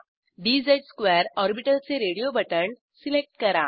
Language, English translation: Marathi, Select dz^2 orbital radio button